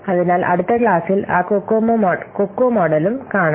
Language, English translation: Malayalam, So in the next class we will see that Cocoa model